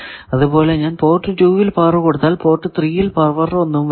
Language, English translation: Malayalam, Similarly if I give power at port 2 at third port no power will come